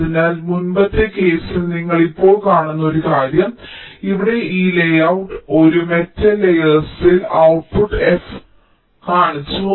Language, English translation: Malayalam, so now one thing: you just see, in our previous case, this layout here, we had shown that the output f was being taken out on a metal layer